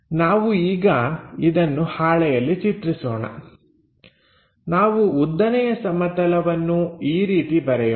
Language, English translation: Kannada, So, let us draw it on the sheet something maybe, let us draw vertical plane in that way